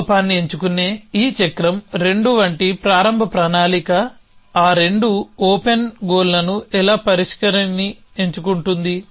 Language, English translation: Telugu, So, this cycle of choosing of flaw how a initial plan as 2 flaws those 2 open goals choosing a resolver